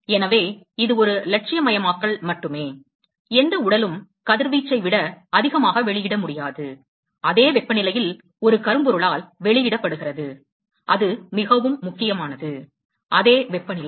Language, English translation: Tamil, So, it is just an idealization, no body can emit more than the radiation, that is emitted by a Black body at the same temperature, that is very important, same temperature